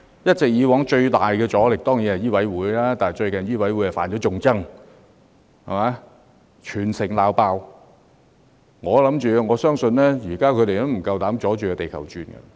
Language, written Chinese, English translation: Cantonese, 以往最大的阻力來自香港醫務委員會，但最近醫委會"犯眾憎"，被全城責罵，我相信他們現在不敢再"阻住地球轉"。, In the past the strongest resistance came from the Medical Council of Hong Kong MCHK but MCHK has recently offended the public and met citywide criticism . I believe that they dare not throw a spanner in the works now